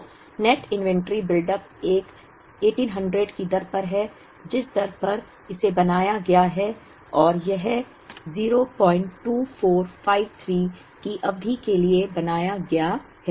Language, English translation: Hindi, So, the net inventory buildup is at the rate of one 1800 is the rate at which it is built up, and it is built up for a period 0